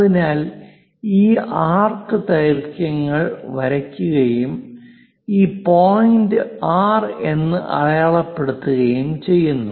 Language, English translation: Malayalam, So, one has to be careful while drawing these arcs length and let us call this point R